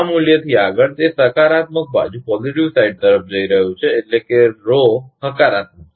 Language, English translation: Gujarati, Beyond this value, it is going to positive side, means Rho is positive